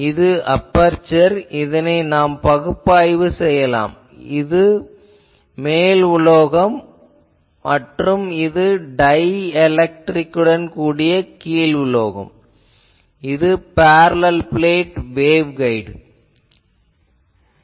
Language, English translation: Tamil, This is an aperture you can say actually we I can analyze it this is a simply the top metal and bottom metal field with dielectric that is like parallel plate waveguide